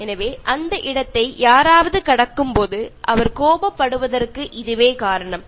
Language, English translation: Tamil, So that is the reason why he gets annoyed when anybody crosses that space